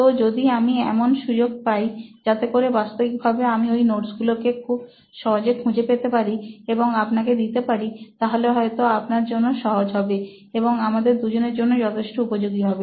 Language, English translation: Bengali, So if I am given an opportunity where I can actually find these notes very easily and I can give it to you perhaps this will be a very easy thing for you and mutually it will be very useful for everyone, right